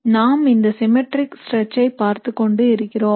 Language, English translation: Tamil, We are looking at this symmetric stretch